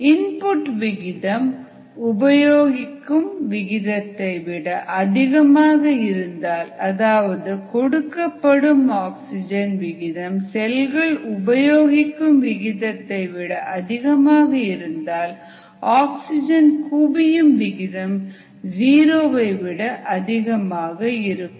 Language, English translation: Tamil, now, if the rate of input is greater than the rate of consumption, if we can provide oxygen at a much faster rate, then the rate at which it is being consumed by the cell, the accumulation rate is going to be greater than zero